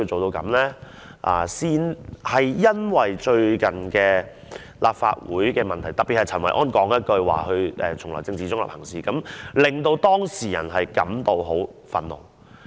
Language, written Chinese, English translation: Cantonese, 然而，因為最近立法會發生的問題，特別是陳維安說他從來政治中立行事，令當事人感到很憤怒。, Nevertheless the recent incidents of the Legislative Council especially the remarks made by Kenneth CHEN concerning the political neutrality he had all along been observing in his work had infuriated the relevant person